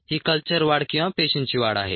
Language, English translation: Marathi, this is culture growth, ah, or the cells multiplication